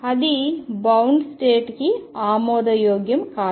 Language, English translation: Telugu, And that would not be acceptable for a bound state